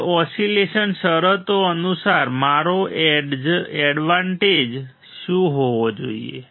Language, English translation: Gujarati, Now according to the oscillation conditions what should be my gain